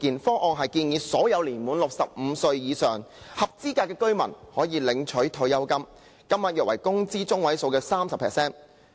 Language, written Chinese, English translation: Cantonese, 諮詢文件建議，所有年滿65歲或以上的合資格居民將可以每月領取退休金，金額約為工資中位數的 30%。, In the consultation paper it was proposed that all eligible residents aged 65 or above would receive a monthly pension equivalent to roughly 30 % of the median wage